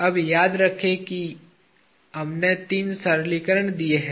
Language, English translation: Hindi, Now, remember there are three simplifications that we did